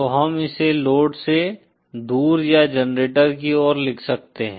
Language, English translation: Hindi, So we can write this as away from load or towards generator